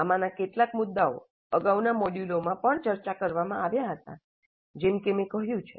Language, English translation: Gujarati, Some of these issues were discussed in earlier modules also, as I mentioned